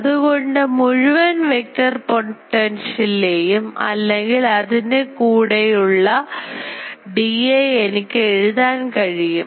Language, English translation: Malayalam, So, total vector potential or these also I can write it as dA